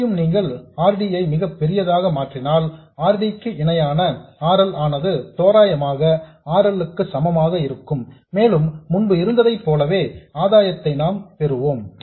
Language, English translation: Tamil, Here also if we make RD very, very large, then RD parallel RL will be approximately equal to RL and we get the same gain as before